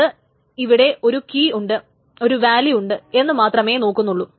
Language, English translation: Malayalam, It just says there is a key and there is a value